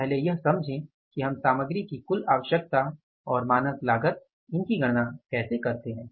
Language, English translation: Hindi, So, first understand that how we calculate this total requirement of the material and the standard cost